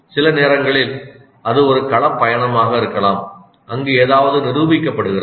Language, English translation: Tamil, Sometimes it can be a field trip where something is demonstrated